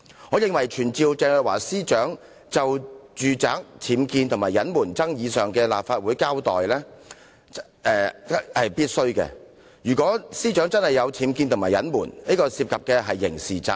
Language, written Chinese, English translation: Cantonese, 我認為傳召鄭若驊司長就住宅僭建及隱瞞爭議前來立法會清楚交代是必須的，因為如果司長確有僭建及隱瞞，這便涉及刑事責任。, I consider it necessary to summon Ms CHENG to attend before the Council to give a clear account of the controversies concerning UBWs and concealment of facts . If the Secretary for Justice did have UBWs and had concealed the facts it may constitute criminal liability